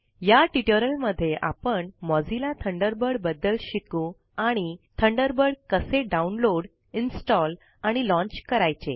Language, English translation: Marathi, In this tutorial we learnt about Mozilla Thunderbird and how to download, install and launch Thunderbird